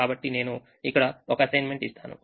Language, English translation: Telugu, so there is an assignment here